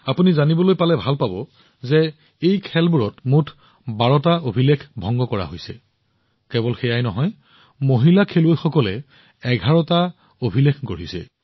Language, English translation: Assamese, You would love to know that a total of 12 records have been broken in these games not only that, 11 records have been registered in the names of female players